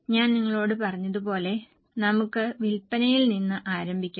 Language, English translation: Malayalam, As I told you, we will be starting with the sales